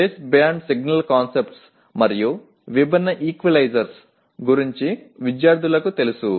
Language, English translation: Telugu, Students will be aware of base band signal concepts and different equalizers